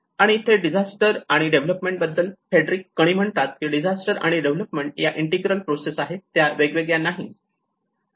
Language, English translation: Marathi, And that is where the disasters and development as Frederick Cuny had pointed out the disasters and development are the integral processes it is they are not separate